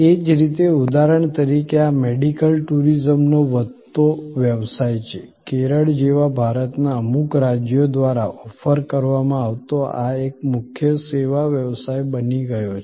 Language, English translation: Gujarati, Similarly, for example, this is the growing business of medical tourism, this is become a major service business offered by certain states in India like Kerala